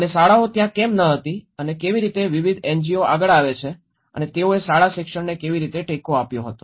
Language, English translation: Gujarati, And how the schools were not there and how different NGOs come forward and how they supported the school educations